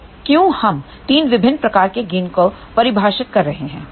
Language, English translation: Hindi, So, why we are defining 3 different types of gain over here